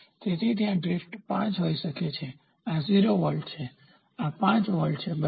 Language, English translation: Gujarati, So, there is a drift may be this might be 5, this is 0 volts, this is 5 volts, ok